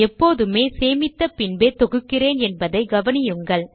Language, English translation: Tamil, Notice that I have always compiled after saving the file